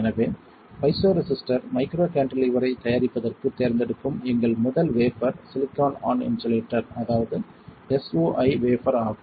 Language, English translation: Tamil, So, our first wafer that we will select for fabricating piezoresistor micro cantilever will be silicon on insulator or SOI wafer alright